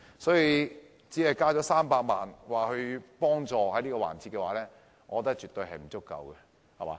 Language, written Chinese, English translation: Cantonese, 因此，只增加300萬元協助旅遊業，我覺得絕對不足夠。, Therefore in my opinion an additional provision of a mere 3 million is absolutely insufficient to assist the tourism industry